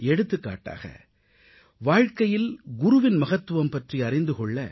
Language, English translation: Tamil, For example, in order to illustrate the significance of the Guru in one's life, it has been said